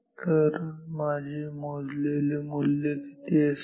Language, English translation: Marathi, So, what will be my measure value